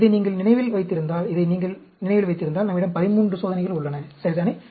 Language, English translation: Tamil, If you remember this, if you remember this, we have 13 experiments, right